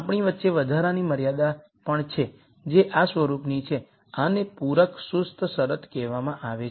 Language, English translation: Gujarati, We also have additional constraints, which are of this form, these are called complementary slackness condition